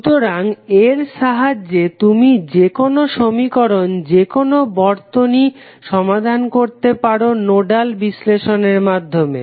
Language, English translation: Bengali, So, with this way you can solve any type of any type of circuit network with the help of nodal analysis